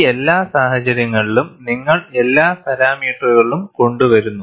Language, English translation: Malayalam, In all these cases, you bring in all the parameters